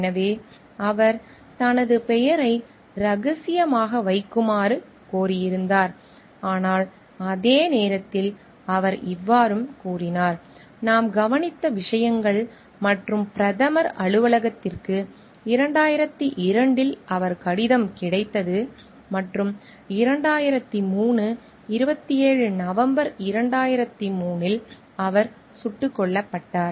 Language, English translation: Tamil, So, he was he requested his name to be kept secret, but at the same time so like he told like these are the things like we have noticed and like the Prime Minister s office received his letter in 2002 and in 2003, 27 November he was shot dead